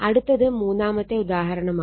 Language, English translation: Malayalam, So, another one is example 3